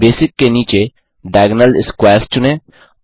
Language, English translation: Hindi, Under Basic choose Diagonal Squares